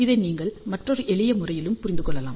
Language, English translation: Tamil, You can also understand this in another simpler manner